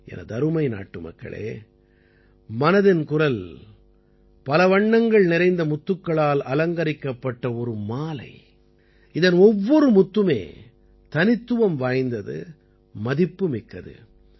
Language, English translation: Tamil, My dear countrymen, 'Mann Ki Baat' is a beautiful garland adorned with colourful pearls… each pearl unique and priceless in itself